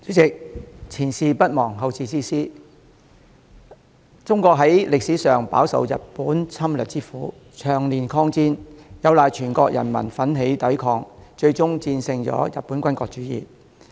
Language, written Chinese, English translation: Cantonese, 代理主席，"前事不忘，後事之師"，中國在歷史上飽受日本侵略之苦，長年抗戰，有賴全國人民奮起抵抗，最終戰勝日本的軍國主義。, Deputy President as the saying goes past experience if not forgotten is a guide to the future . In the course of history China suffered greatly because of the Japanese invasions . The whole nation had engaged in resistance for many years and thanks to the courageous resistance of the people it finally gained victory over Japans militarism